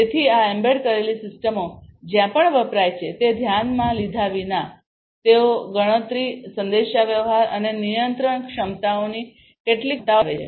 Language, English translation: Gujarati, So, these embedded systems irrespective of where they are used, they possess certain capabilities of computation, communication and control, compute, communicate and control capabilities